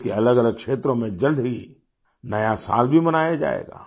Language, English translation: Hindi, New year will also be celebrated in different regions of the country soon